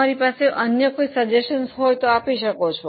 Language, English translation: Gujarati, Any other suggestion will you want to make